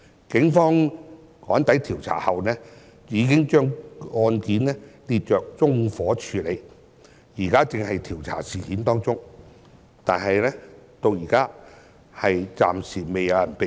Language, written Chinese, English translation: Cantonese, 警方趕抵調查後，已經把案件列作縱火處理，現時正在調查事件，但至今未有人被捕。, The Police arrived at the scene subsequently for investigation and the case was classified as arson . However the case is still under investigation and no person has been arrested so far